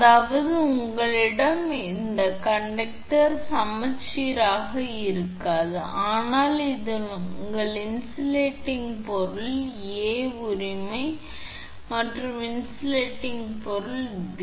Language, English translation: Tamil, That means you have this is your conductor may not be symmetrical, but this is your insulating material A right and this is insulating material B